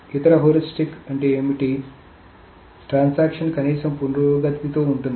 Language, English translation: Telugu, The other heuristic is that the transaction with the least progress